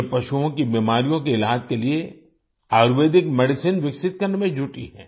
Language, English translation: Hindi, It is engaged in developing Ayurvedic Medicines for the treatment of animal diseases